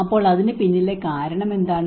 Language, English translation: Malayalam, So what is the reason behind it